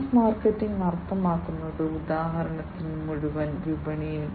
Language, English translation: Malayalam, Mass market means, like for instance you know the whole market right